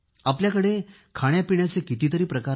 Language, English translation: Marathi, How many varieties of cuisines there are